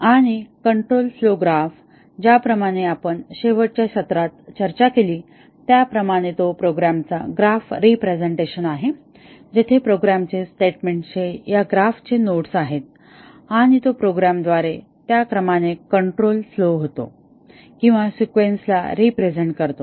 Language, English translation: Marathi, And the control flow graph as we are discussing in the last session, it is a graph representation of the program where the statements of the program are nodes of this graph and it represents the sequence in which the control flows through the program, or the sequence in which the statements get executed